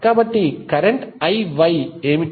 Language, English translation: Telugu, So, what would be the current I Y